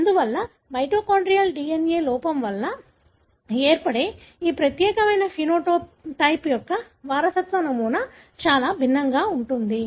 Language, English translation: Telugu, Therefore, the inheritance pattern of this particular phenotype resulting from mitochondrial DNA defect is going to be very, very different